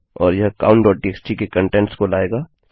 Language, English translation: Hindi, And that will get the contents of count.txt